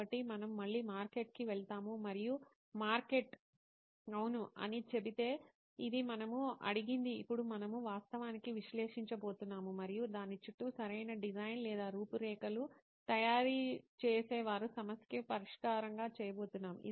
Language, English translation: Telugu, So we again go back to the market and if market says yes this is what we asked for, now we are going to actually analyse and we are going to make a proper design or an outline around it and make it a solution to their problem